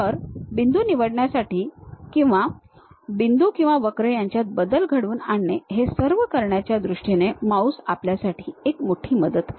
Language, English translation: Marathi, So, mouse is a enormous help for us in terms of picking the points or updating the points or curves